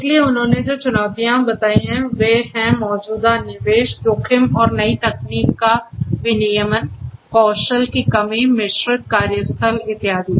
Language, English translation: Hindi, So, the challenges that they have addressed are that there is existing investment, risk and regulation of new technology, lack of skill, mixed workplace, and so on